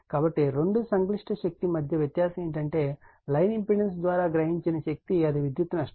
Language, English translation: Telugu, So, the difference between the two complex power is the power absorbed by the line impedance that is the power loss right